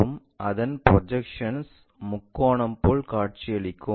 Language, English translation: Tamil, And its projection, as a triangle